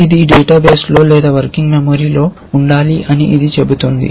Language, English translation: Telugu, This says that this must be present in the database or in the working memory